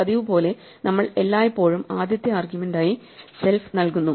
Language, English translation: Malayalam, And as usual we are always providing self as the default first argument